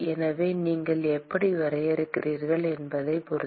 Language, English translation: Tamil, So, depending on how you define